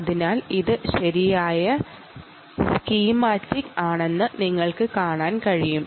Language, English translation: Malayalam, so you can see, this is indeed the right schematic